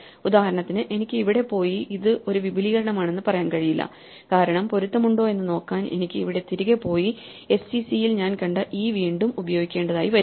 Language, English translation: Malayalam, So, I cannot, for instance go here and say that this is an extension because this requires me to go back and reuse the e that I have seen in sec to match